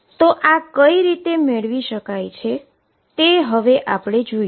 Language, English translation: Gujarati, How do we get that